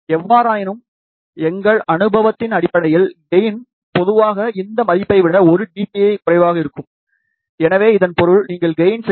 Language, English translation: Tamil, However, based on our experience, gain is in general 1 dB less than these value, so that means, if you want a gain of let us say 6